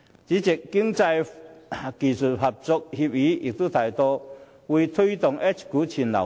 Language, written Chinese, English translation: Cantonese, 主席，《經濟技術合作協議》亦提到會推動 H 股全流通。, President the full circulation of H - shares promoted under the Ecotech Agreement is vital to the development of the financial market